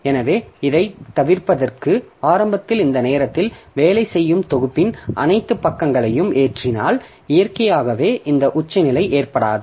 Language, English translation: Tamil, So to avoid this, so if I initially load all the pages of the working set at this time itself, then naturally this peak will not occur